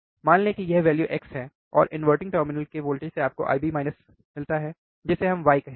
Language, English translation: Hindi, Let us say the value is x, then from this voltage which is inverting terminal you get I B minus which is equals to let us say y